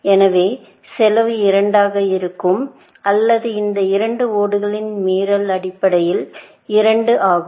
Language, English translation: Tamil, So, the cost would be 2, essentially, or the contravention of these two tiles would be two, essentially